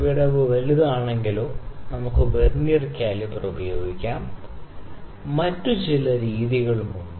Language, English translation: Malayalam, Like, we can just use if the gap is larger we can use Vernier caliper or certain methods could be there